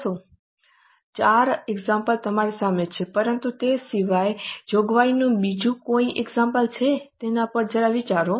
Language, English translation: Gujarati, The four examples are in front of you but apart from that is there any other example of a provision